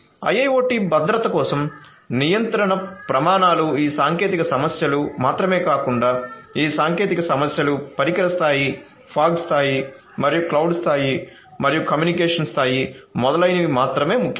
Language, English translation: Telugu, Regulatory standards for IIoT security is important not only all these technological issues, not only these technical issues, device level, fog level and cloud level and the communication level and so on